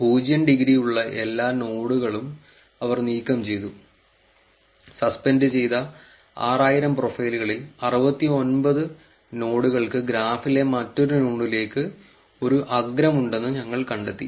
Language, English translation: Malayalam, They have removed all the nodes with the degree zero, we found that 69 nodes out of 6,000 suspended profiles had an edge to another node in the graph